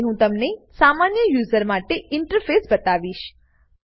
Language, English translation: Gujarati, Now I will show you the interface for a normal user